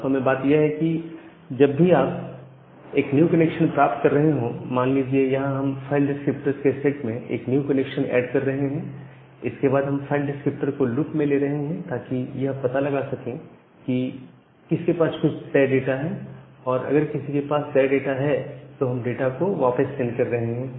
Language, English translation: Hindi, So, the idea is that whenever you are getting a new connection, we are adding that new connection in the set of file descriptors and then we are looping over that file descriptor to find out, which one have certain data and if someone has certain data, we are sending back that data